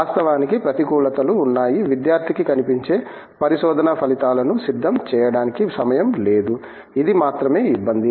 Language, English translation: Telugu, Of course there are disadvantages, that the student has no time to prepare the visible research outputs, this is the only hassle